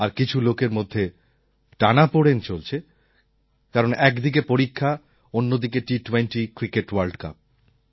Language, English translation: Bengali, For those of you who still have examinations, it must be a testing time with exams on one hand and T20 Cricket World Cup on the other